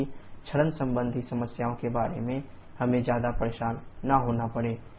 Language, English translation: Hindi, So, that we do not have to bother too much about the erosion related problems